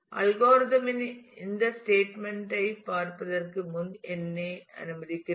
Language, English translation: Tamil, Let me before going through this statement of the algorithm